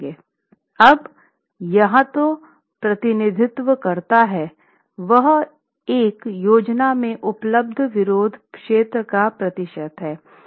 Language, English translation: Hindi, Now what this represents is the percentage of resisting area available in a plan configuration